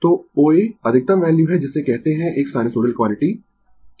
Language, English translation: Hindi, So, O A is the maximum value of your what you call of a sinusoidal quantities